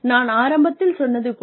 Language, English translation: Tamil, I told you right in the beginning